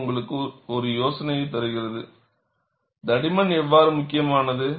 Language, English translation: Tamil, This gives you an idea, how the thickness is very important